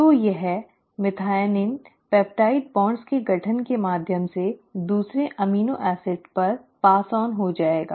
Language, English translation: Hindi, So this methionine will be passed on to the second amino acid through the formation of peptide bond